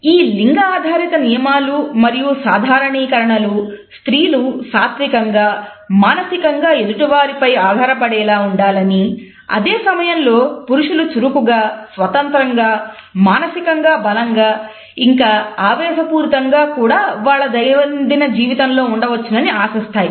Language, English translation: Telugu, These gender roles and these stereotypes expect that women should be passive they should be dependent emotional, whereas men are expected to be active and independent unemotional and even aggressive in their day to day behavior